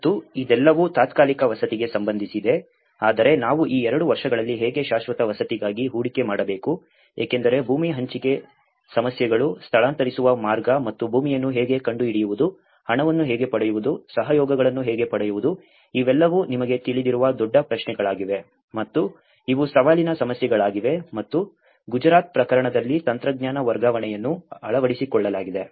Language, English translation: Kannada, And this is all about the temporary housing but then when we moved on how in these 2 years, how we have to invest for the permanent housing because the land allocation issues, way to relocate and how to find the land, how to get the money, how to get the collaborations, all these becomes big questions you know and these are challenging issues and this is where the technology transfer also has been adopted in Gujarat case